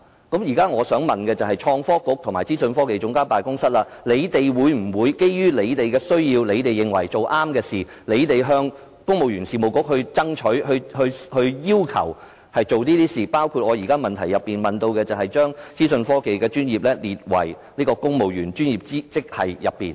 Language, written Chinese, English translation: Cantonese, 我現在想問局長，創科局和資科辦，會否基於他們的需要，以及認為要做正確的事，而向公務員事務局爭取推行有關措施，包括我在主體質詢提出的"將資訊及通訊科技專業列為公務員專業職系"？, Now may I ask the Secretary whether the Innovation and Technology Bureau and the OGCIO will on the basis of their needs and the consideration of doing the right thing strive for the implementation of the relevant measures by the Civil Service Bureau including my proposal to designate ICT profession to be a professional grade in the civil service put forth in the main question?